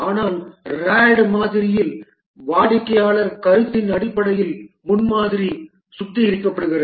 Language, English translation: Tamil, But in the RAD model the prototype is refined based on the customer feedback